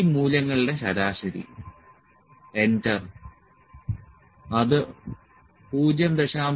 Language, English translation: Malayalam, Average of these values enter which is equal to 0